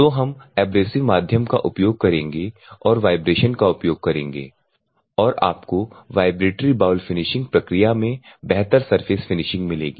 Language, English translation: Hindi, So, abrasive medium, we will use and vibrations you will use and you get a better surface finish in the in the vibratory bowl finishing process